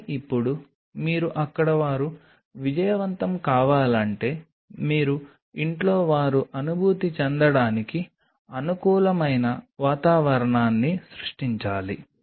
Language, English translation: Telugu, but now, if you want them to succeed there, you have to create a conducive environment for them to feel at home